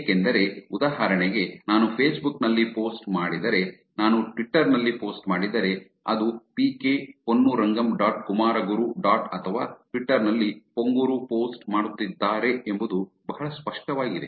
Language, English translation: Kannada, Because for example, If I do a post on facebook, if I do a post on twitter it is actually very clear that it is pk ponnurangam dot kumaraguru dot or ponguru in twitter is actually doing the post